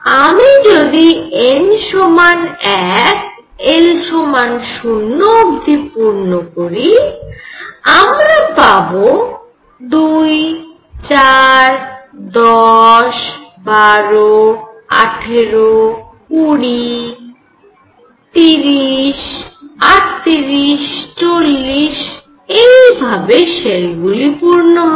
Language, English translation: Bengali, If I fill only up to n equals 1 l equals 0, I have 2, 4, 10, 12, 18, 20, 30, 38, 40 and so on, these are the shell fillings